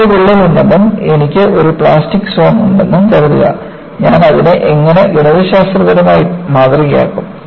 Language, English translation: Malayalam, Suppose, I have a crack and I have a plastic zone, how do I mathematically model it